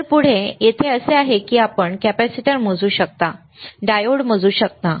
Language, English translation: Marathi, So, next one, here what is that you can measure capacitor, you can measure diode